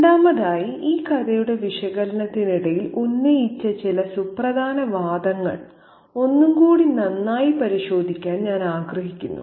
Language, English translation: Malayalam, Secondly, I would like to take another good look at some of the significant arguments that I have made over the course of this story's analysis